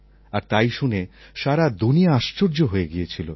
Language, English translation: Bengali, The whole world was amazed